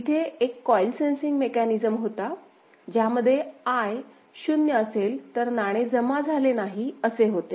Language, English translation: Marathi, There is a coin sensing mechanism, where if the sensor I is 0; that means, no coin is deposited